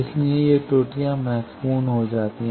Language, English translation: Hindi, So, these errors become significant